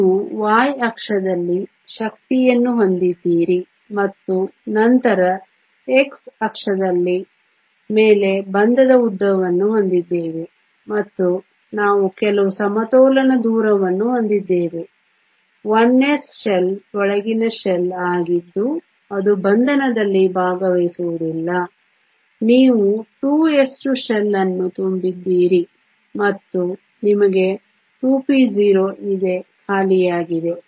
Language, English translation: Kannada, You have energy on the y axis and then bond length on the x axis and we have some equilibrium distance the 1 s shell is an inner shell that will not take part in bonding you have a 2 s 2 shell that is full and you have 2 p 0 that is empty